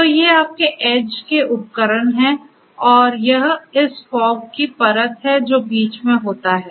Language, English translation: Hindi, So, these are your edge devices and this is this fog layer that is sitting in between